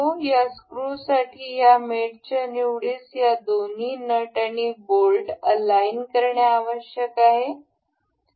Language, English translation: Marathi, This mates selection for this the screw needs the access of this the two nut and the bolt to be aligned